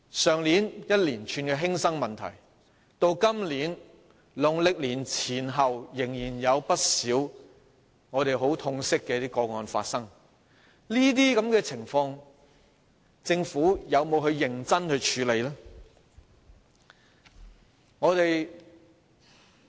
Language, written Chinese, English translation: Cantonese, 去年發生一連串的學生輕生的事件，到今年農曆年前後，仍然有不少令我們感到很痛心的個案發生，政府有否認真處理這些情況？, Last year a spate of student suicides occurred . Before and after the Chinese New Year holiday this year a number of heart - rending cases happened regardless . Did the Government seriously handle these circumstances?